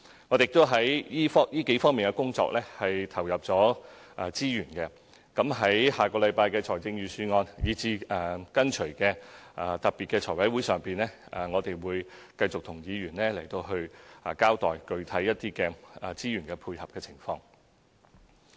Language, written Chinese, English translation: Cantonese, 我們已在這數方面的工作投入資源，在下星期的財政預算案以至隨後的特別財務委員會會議上，我們會繼續與議員交代具體的資源配合情況。, We have injected resources for the work in these several aspects . We will continue to give Members a specific account of the corresponding allocation of resources in the Budget next week and special meetings of the Finance Committee that follow . Some Members have also mentioned the review of the discrimination law